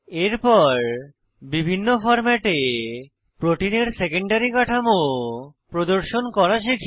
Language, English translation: Bengali, Next, let us learn to display the secondary structure of the protein in various formats